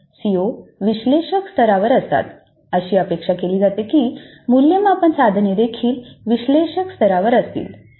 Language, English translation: Marathi, If the CO is at analyze level it is expected that the assessment item is also at the analyzed level